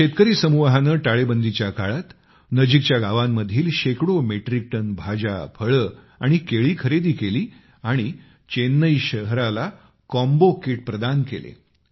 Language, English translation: Marathi, This Farmer Collective purchased hundreds of metric tons of vegetables, fruits and Bananas from nearby villages during the lockdown, and supplied a vegetable combo kit to the city of Chennai